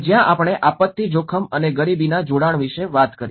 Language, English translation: Gujarati, And where we talked about the disaster risk and poverty nexus